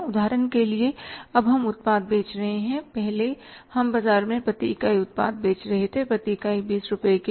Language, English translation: Hindi, For example now we are selling the product, earlier we were selling the product per unit in the market say for how much 20 rupees per unit